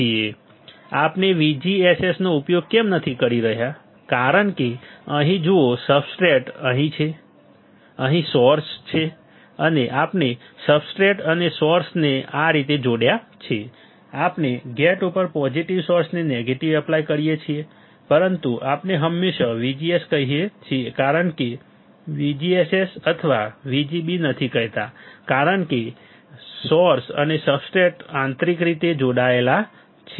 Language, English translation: Gujarati, Why we are not using VGSS is because here see substrate is there , here the source is there right and we have connected the substrate and source like this we apply negative to source positive to gate, but we always say VGS we never say VGSS or VGB because source and substrate are connected internally